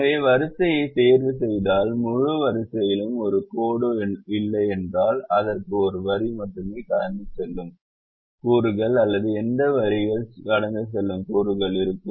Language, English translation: Tamil, so if the row is ticked and does not have a line passing through the entire row, then it will either have elements where only one line is passing or elements where no line is passing